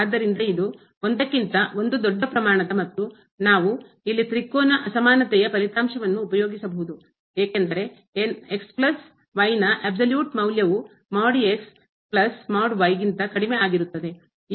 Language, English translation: Kannada, So, this will be a big quantity than this one and again, we can we know also this result the triangular inequality that the absolute value of plus will be less than equal to the absolute value of plus absolute value of